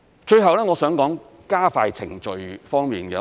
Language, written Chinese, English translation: Cantonese, 最後，我想談談加快程序方面。, Lastly I would like to talk about expediting the approval process